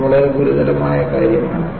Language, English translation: Malayalam, It is a very serious matter